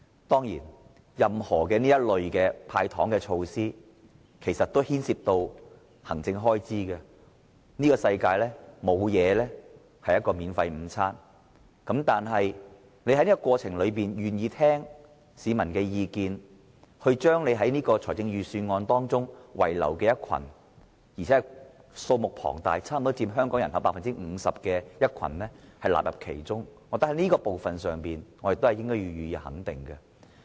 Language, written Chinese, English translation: Cantonese, 當然，這類"派糖"措施牽涉行政開支，這個世界沒有免費午餐，但司長在這個過程中願意聆聽市民的意見，將預算案中被遺漏並且是數目龐大的一群，差不多佔香港人口 50% 的人納入其中，我覺得這是要予以肯定的。, Certainly this sort of cash handouts involves administrative costs . There is no free lunch in this world . I think the Financial Secretary is commendable for his willingness to listen to public views in the process and include a large group of people who have been left out accounting for almost 50 % of the population into the Budget